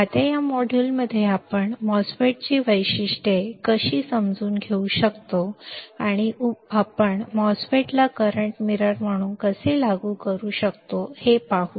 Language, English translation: Marathi, Now, in this module let us see further how we can understand the characteristics of a MOSFET, and how can one apply the MOSFET as a current mirror that we will be looking at